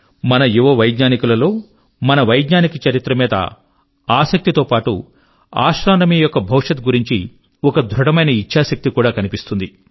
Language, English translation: Telugu, Today, our young scientists not only display a great desire to know their scientific history, but also are resolute in fashioning astronomy's future